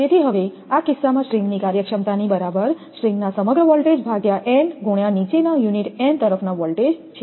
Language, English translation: Gujarati, So, now, in this case the string efficiency is equal to voltage across the string divided by n into voltage across the lowest unit n